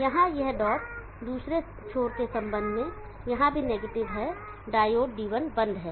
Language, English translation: Hindi, This dot here also is negative with respect to the other N diode D1 is off